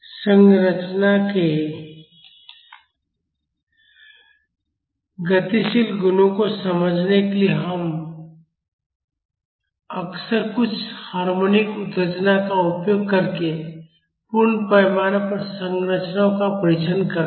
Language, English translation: Hindi, To understand the dynamic properties of structures we often test full scale structures using some harmonic excitation